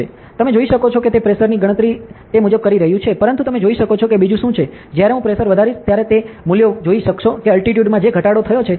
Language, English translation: Gujarati, So, you can see that it is calculating the pressure accordingly; but you can see what is something else, that when I increase the pressure ok, you can see the values that, the altitude has what decreased